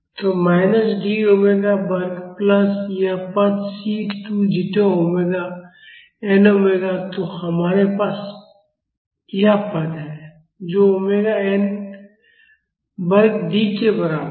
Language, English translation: Hindi, So, minus D omega square plus this term C 2 zeta omega n omega then we have this term which is equal to omega n square D